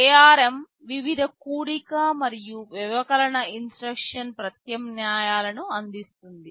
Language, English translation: Telugu, ARM provides with various addition and subtraction instruction alternatives